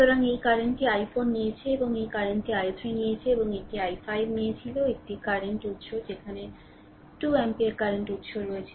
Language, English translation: Bengali, So, this current we took of this current we took of i 4 and this current we took i 3 right and this one we took i 5 one current source is there 2 ampere current source is there